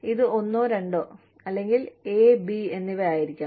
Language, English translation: Malayalam, It should be, either one and two, or, a and b